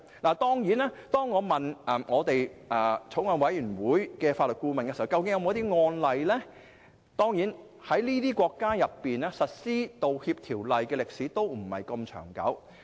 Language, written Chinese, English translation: Cantonese, 我曾詢問法案委員會的法律顧問，在這方面有沒有案例，但這些國家實施道歉法例的歷史都不是十分長久。, I have asked the Legal Adviser to the Bills Committee about the availability of relevant precedent cases . But I was told that the history of implementing apology legislation in all these jurisdictions is not very long